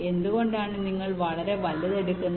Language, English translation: Malayalam, why you are taking very large